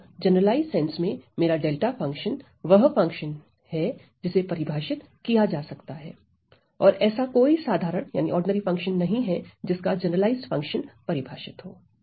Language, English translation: Hindi, So, in the generalized sense my delta function is a function can that can be defined right and also what we have is that there is there is no ordinary function there is no ordinary function whose generalized function is defined about right